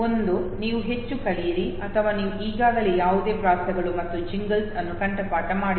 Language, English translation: Kannada, Either you over learn, or you have already memorized no some rhymes and Jingles